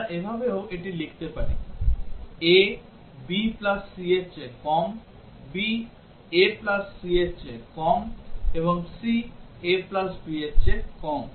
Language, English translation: Bengali, We can also write it in this form; a is less than b plus c; b is less than a plus c; and c is less than a plus b